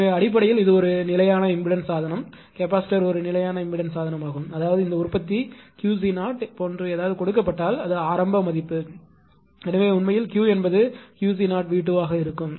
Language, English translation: Tamil, So, basically it is a constant impedance device shunt the capacitor is a constant impedance device; that means, it suppose initial value if something is given like this manufacture Q c 0 therefore, you are actually Q will be Q c 0 then magnitude of the voltage square